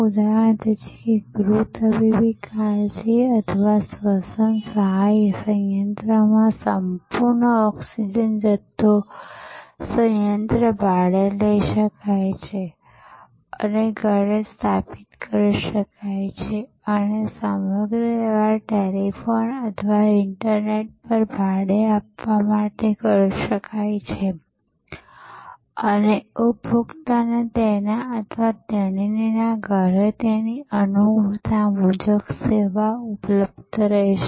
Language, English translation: Gujarati, Like for example, at home medical care or a respiratory assistance plant, a full oxygen supply plant can be taken on rent and installed at home and the whole transaction can be done are for renting over telephone or over the internet and the service will be available to the consumer at his or her home at his or her convenience